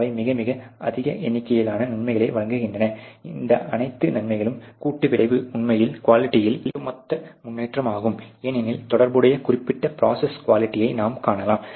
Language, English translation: Tamil, The provide a very, very large number of benefits the compound effect of all these benefits is really an overall improvement in the quality as you can see related particular a process quality